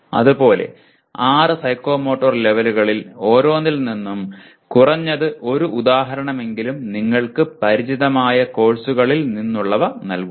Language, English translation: Malayalam, Same way give at least one example from each one of the six psychomotor levels from the courses you are familiar with